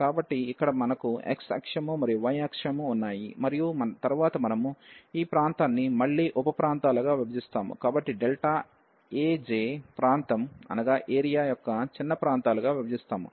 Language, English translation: Telugu, So, here we have x axis and the y axis and then we divide again this region into sub regions so into a smaller regions of area delta A j